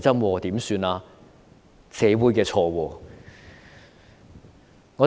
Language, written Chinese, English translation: Cantonese, 難道是社會的錯？, Could it be that society is to blame?